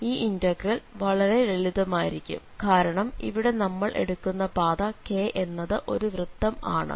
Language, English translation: Malayalam, And this is going to be a simpler integral because we are talking about this k which is a circle there